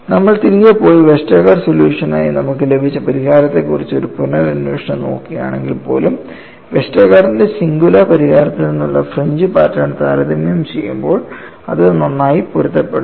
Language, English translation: Malayalam, See, even if you go back and look at a reinvestigation on what we have got the solution as Westergaard solution, when you compare the fringe pattern from the singular solution of Westergaard with experiment, it matched well